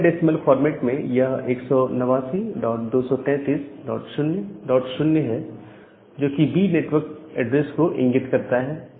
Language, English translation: Hindi, So, in the dotted decimal format it is 189 dot 233 dot 0 dot 0 that denotes class B network address